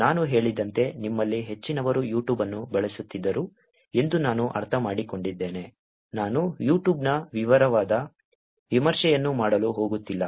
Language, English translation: Kannada, As I said, given that I understand majority of you would have used YouTube, I am not going do a detailed review of YouTube